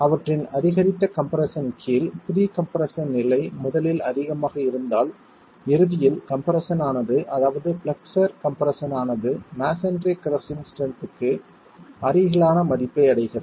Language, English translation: Tamil, Under that increased compression, if the pre compression level was originally high, the chances are that the compression, the flexual compression at ultimate reaches a value close to the crushing strength of masonry itself